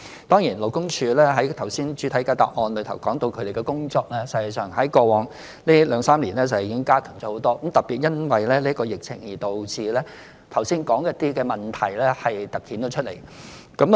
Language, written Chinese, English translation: Cantonese, 當然，如剛才主體答覆提及，勞工處的工作實際上在過往兩三年已經大幅加強。特別因為這疫情，導致剛才提到的一些問題突顯出來。, Of course as mentioned in my main reply earlier LD has significantly strengthened its work over the past two to three years particularly because some problems mentioned just now have become more prominent due to this pandemic